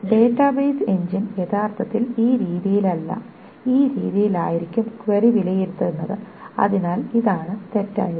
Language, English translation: Malayalam, So this is going to be the database engine will actually evaluate the query in this manner and not this manner